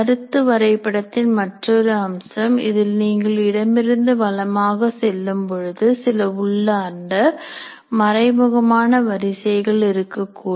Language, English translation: Tamil, And now another feature of this concept map is when you are doing left to right, there is be some inherent or implicit sequences there